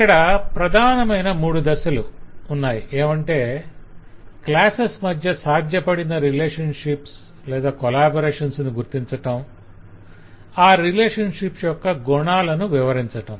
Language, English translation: Telugu, so the main three steps are the possible identifying the possible relationships and collaborations between classes and for those relationships we need to describe the nature of the relationship